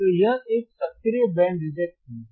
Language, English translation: Hindi, And we will see active band reject filter, what is